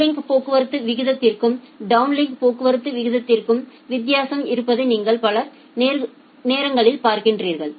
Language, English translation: Tamil, Many of the time you will see that there is a differentiation between the uplink traffic rate and a downlink traffic rate